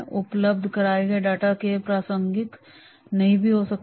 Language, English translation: Hindi, Lots of data are provided, not all will be relevant